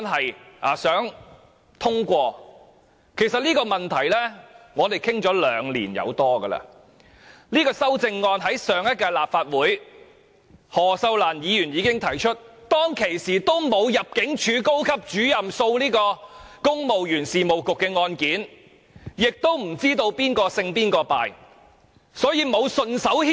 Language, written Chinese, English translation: Cantonese, 事實上，我們就這項問題已討論了超過兩年，何秀蘭在上屆立法會提出這項修正案，當時尚未發生高級入境事務主任訴公務員事務局的案件，也不知道誰勝誰敗，所以我們沒有順手牽羊。, In fact this issue has been discussed for over two years . This amendment was proposed by Cyd HO in the previous Legislative Council . At that time the case of the Senior Immigration Officer suing the Civil Service Bureau had not yet been filed and it was not known who would win the case